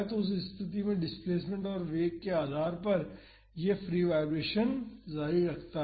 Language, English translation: Hindi, So, based on the displacement and velocity at that position it is continuing the free vibration